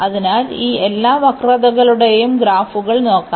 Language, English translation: Malayalam, So, let us look at the graphs of all these curves